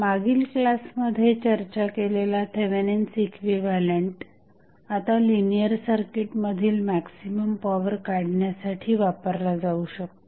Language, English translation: Marathi, Now, the Thevenin equivalent which we discussed in the previous classes, it is basically will be used for finding out the maximum power in linear circuit